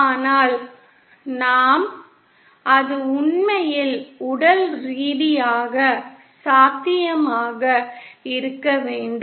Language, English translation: Tamil, But we have to it should be actually physically possible